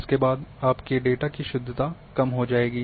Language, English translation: Hindi, Therefore, the precision of your data will get reduced